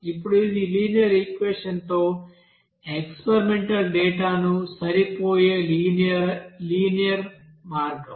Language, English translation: Telugu, Now this is the simple way to you know fit the experimental data with the linear equation